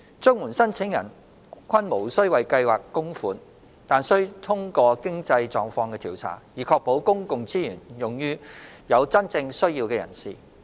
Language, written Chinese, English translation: Cantonese, 綜援申請人均無須為計劃供款，但須通過經濟狀況調查，以確保公共資源用於有真正需要的人士。, The Scheme is non - contributory but applicants have to pass a means test to ensure public resources are used on those who are genuinely in need